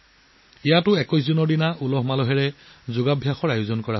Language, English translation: Assamese, Here too, a splendid Yoga Session was organized on the 21st of June